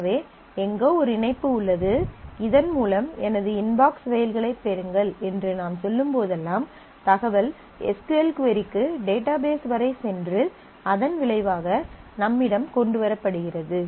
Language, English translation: Tamil, So, somewhere there is a connection by which when I say get my inbox mails and somewhere the information goes over from this to the SQL query up to the database and the result is brought back to me